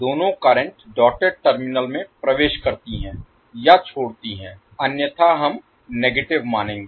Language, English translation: Hindi, Both currents enter or leave the dotted terminals otherwise we will consider as negative